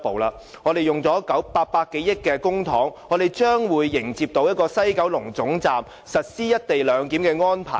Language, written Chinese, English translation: Cantonese, 花了800多億元公帑，我們將會迎接在西九龍站實施"一地兩檢"的安排。, Having spent over 80 billion of taxpayers money we welcome the implementation of the co - location arrangement at the West Kowloon Station